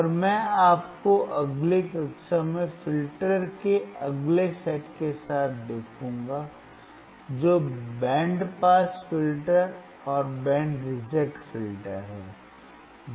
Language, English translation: Hindi, And I will see you in the next class with the next set of filter which is the band pass filter and band reject filter